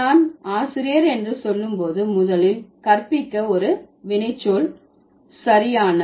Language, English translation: Tamil, So, when I say teacher, to begin with, teach is a verb, right